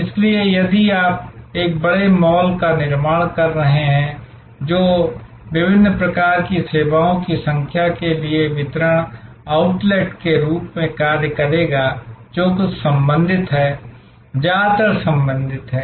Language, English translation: Hindi, So, if you are constructing a large mall, which will act as a distribution outlet for number of different types of services some related, mostly related